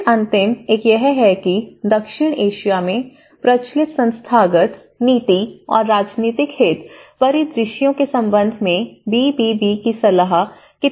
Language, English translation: Hindi, Then, the last one is how meaningful the BBB recommendations are in relation to prevalent institutional and policy and political interest scenarios in South Asia